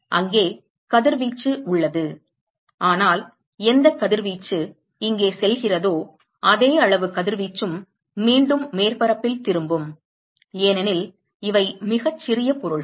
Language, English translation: Tamil, There is radiation, but whatever radiation goes here right, the same amount of radiation also is returned back to the surface because these are very small objects